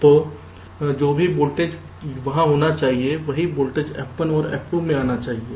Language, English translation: Hindi, so whatever voltage should be there, same voltage should come in f one and f two